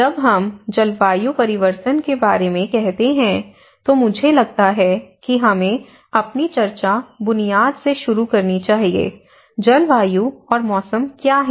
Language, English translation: Hindi, When we say about climate change, I think let us start our discussion with the basic understanding on of what is climate, what is weather